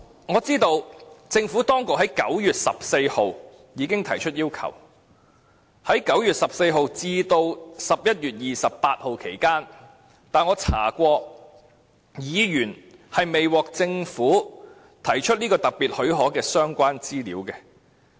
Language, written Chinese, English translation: Cantonese, 我知道政府當局在9月14日已經提出要求，在9月14日至11月28日期間，我曾翻查紀錄，發現議員並未獲提供政府提出這個特別許可的相關資料。, I know the Government has made the request on 14 September but after checking the records I find that during the period from 14 September to 28 November this year Members were not provided with any relevant information concerning the Governments request for special leave during the period from 14 September to 28 November this year